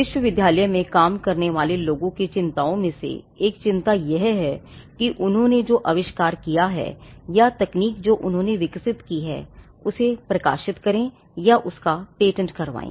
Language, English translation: Hindi, One of the concerns that people who work in the university have is with regard to whether they should publish the invention or the technology that they have developed or whether they should go for a patent